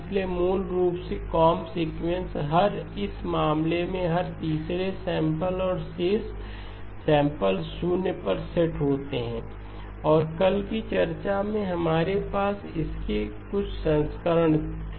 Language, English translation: Hindi, So basically the comb sequence keeps the, every, in this case every third sample and the rest of the samples are set to 0 and in yesterday’s discussion we had some variants of this